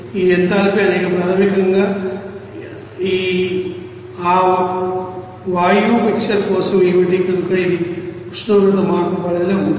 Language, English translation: Telugu, These enthalpy is basically, what is that for that gaseous mixer, so it is within that range of you know temperature change